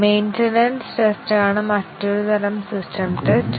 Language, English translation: Malayalam, Another type of system test is the maintenance test